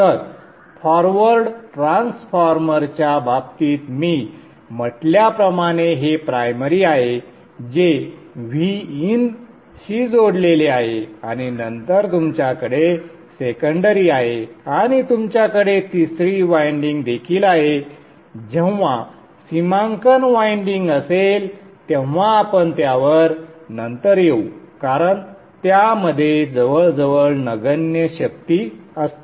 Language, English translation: Marathi, So in the case the forward transformer, I will say this is the primary which is connected to V In and then you have the secondary and you also have the third winding with the D Manet is winding will come to that later because that contains almost negligible power